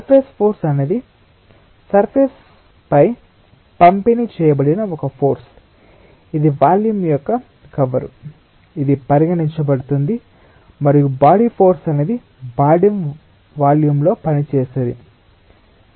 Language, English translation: Telugu, surface force is a force which is distributed over the surface, which is the envelope of the volume that is being considered, and body force is something which is acting within the volume of the body